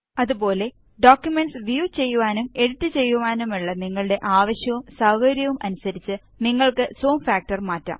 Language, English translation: Malayalam, Likewise, you can change the zoom factor according to your need and convenience for viewing and editing the documents